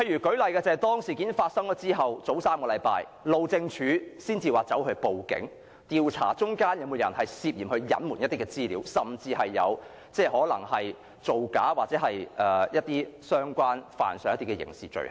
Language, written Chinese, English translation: Cantonese, 舉例而言，當事件發生後，路政署在3星期前才報案，調查當中有沒有人涉嫌隱瞞資料，甚至可能造假或干犯刑事罪行。, For example after the incident was uncovered the Highways Department only reported to the Police three weeks ago to inquire if anyone has been suspected of concealing and falsifying information or even committed a crime